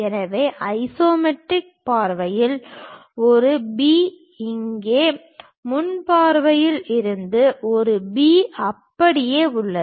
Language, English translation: Tamil, So, A B here at the isometric view A B here from the front view remains one and the same